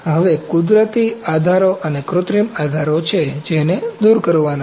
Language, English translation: Gujarati, Now, natural supports and synthetic supports are there, which are to be removed